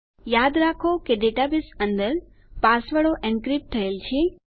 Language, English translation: Gujarati, Please remember that inside our database, our passwords are encrypted